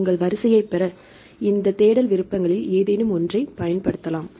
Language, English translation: Tamil, You can use any of these search options to get your sequence